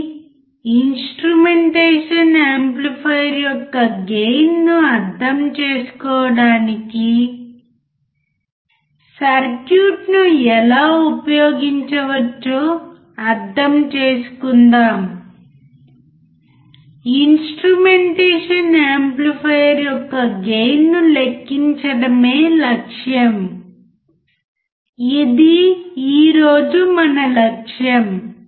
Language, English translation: Telugu, So, let us understand, how we can use the circuit to understand the gain of the instrumentation amplifier, the aim is to calculate the gain of an instrumentation amplifier, this is our aim for today